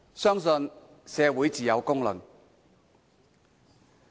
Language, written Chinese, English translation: Cantonese, 相信社會自有公論。, I believe society will make a fair judgment